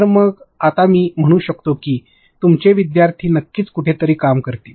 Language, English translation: Marathi, So, in that what I can say is now your students will definitely work somewhere